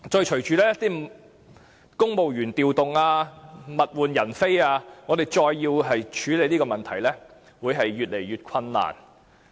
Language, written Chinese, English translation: Cantonese, 隨着公務員調動，物換人非，我們再要處理這個問題會越來越困難。, With the transfer of civil servants to different posts there are changes in things and people it will be increasingly difficult for us to tackle this problem again